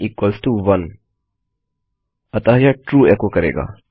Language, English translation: Hindi, 1 does equal to 1 so this will echo True